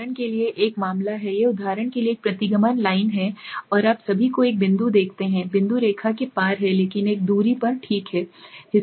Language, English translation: Hindi, So this is one case of an outlier this is a regression line for example, and you see the one point all the points are across the line but one is quite at a distance okay